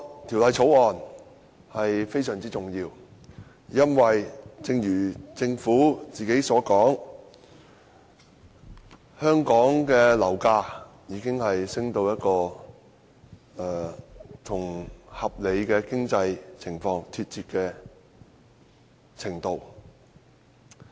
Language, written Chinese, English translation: Cantonese, 《條例草案》非常重要，因為正如政府所說，香港的樓價已升至與合理的經濟情況脫節的程度。, The Bill is very important for the reason that as indicated by the Government property prices in Hong Kong have risen to levels that are out of tune with our reasonable economic conditions